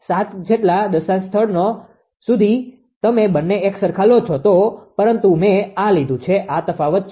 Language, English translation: Gujarati, Up to 7 decimal places if you take both the same, but I have taken it the these difference is there and this is this difference